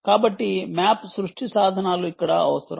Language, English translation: Telugu, so map creation tools are require here